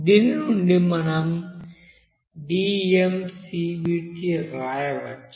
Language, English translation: Telugu, So from this we can write d